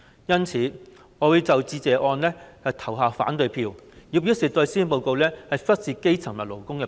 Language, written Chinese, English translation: Cantonese, 因此，我會就致謝議案投下反對票，以表示不滿施政報告忽視基層和勞工。, Therefore I will vote against the Motion of Thanks to express my dissatisfaction with the negligence of grass roots and labour issues in the Policy Address